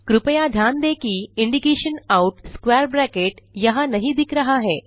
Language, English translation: Hindi, Please note that the indication Out square brackets is not shown here